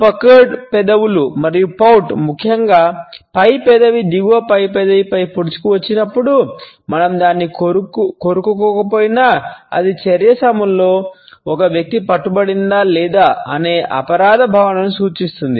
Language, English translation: Telugu, Puckered lips and pout, particularly when the top lip has protruding over the bottom lip, then even though we are not biting it then it indicates a feeling of guilt whether an individual has been caught or not during the action